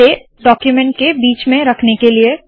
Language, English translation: Hindi, To place this at the center of the document